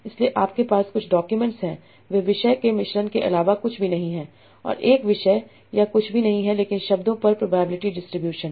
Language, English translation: Hindi, So what it says is that, so you are having some documents, They are nothing but mixtures of topic and a topic is nothing but a probability distribution over words